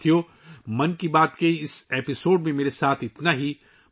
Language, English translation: Urdu, Friends, that's all with me in this episode of 'Mann Ki Baat'